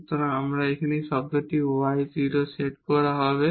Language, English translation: Bengali, So, what is this term here the y will be set to 0